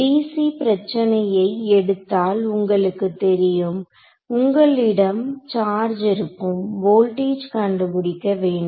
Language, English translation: Tamil, So, for a dc problem what is the you know you have a charge and you want to find out voltage that is your dc problem